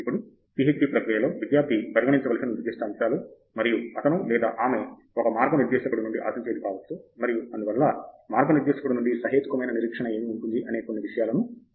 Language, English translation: Telugu, So, maybe we can have some more discussion on what we feel is are now specific aspects that a student should consider as role of a student in the PhD process, and may be what he or she can expect from a guide, and therefore, what would be a reasonable expectation as a role of a guide